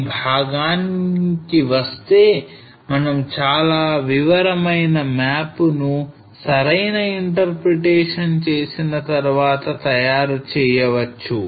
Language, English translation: Telugu, So coming to this part that we can prepare a very detail map after doing a proper interpretation